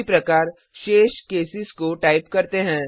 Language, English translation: Hindi, Similarly, let us type the remaining cases